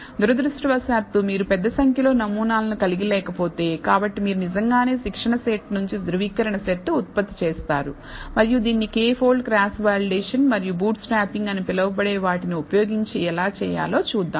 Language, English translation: Telugu, Unfortunately, if you do not have large number of samples, so you would actually generate a validation set from the training set itself and we will see how to do this using what is called K fold cross validation and bootstrapping and so on